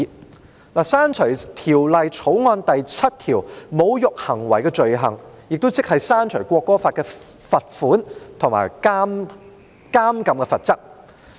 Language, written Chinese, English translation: Cantonese, 我提出刪除《條例草案》第7條"侮辱行為的罪行"，亦即刪除罰款和監禁的罰則。, I proposed the deletion of clause 7 Offence of insulting behaviour which in effect seeks to delete the penalty including the fine and imprisonment